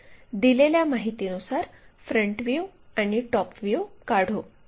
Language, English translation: Marathi, So, first of all one has to draw this front view, top view